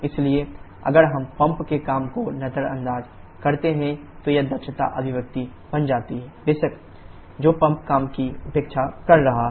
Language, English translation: Hindi, So, if we neglect the pump work then this efficiency expression comes out to be h1 h2 upon h1 h3 which of course is neglecting the pump work